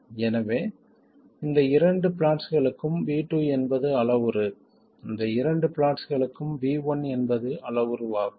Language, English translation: Tamil, So, for these two plots, V2 is the parameter and for these two plots, V1 is the parameter